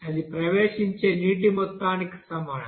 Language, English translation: Telugu, That will be is equal to amount of water entering